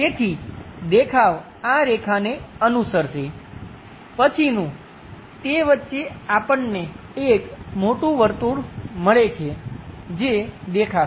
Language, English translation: Gujarati, So, the view followed by these lines, in between that we get a bigger circle which will be visible